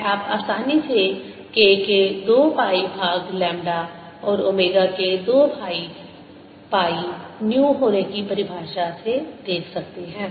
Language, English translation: Hindi, this you can easily see from definition of k being two pi by lambda and omega being two pi nu